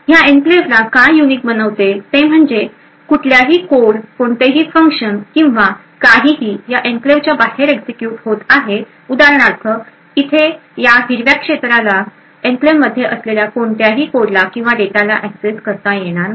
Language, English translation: Marathi, Now what makes this enclave unique is that any code, any function or anything which is executing outside this enclave for example in this green region over here will not be able to access any code or data present within the enclave